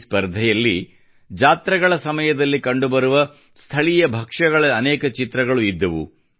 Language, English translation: Kannada, In this competition, there were many pictures of local dishes visible during the fairs